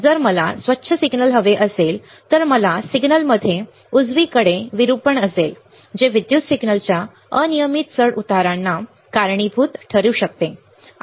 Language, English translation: Marathi, So, you see a signal if I want a clean signal right if I have the distortion in the signal right that may be due to the random fluctuation of the electrical signal